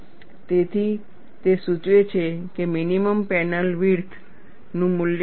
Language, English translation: Gujarati, So, that dictates what is the value of the minimum panel width